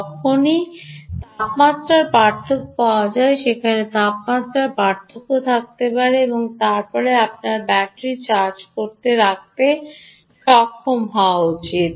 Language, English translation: Bengali, wherever a temperature difference, whenever temperature differentials are available, you should be able to harvest from that and then from that you should be able to keep charging the battery